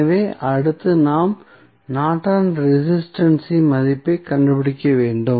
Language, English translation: Tamil, So, next what we need to do, we need to just find out the value of Norton's resistance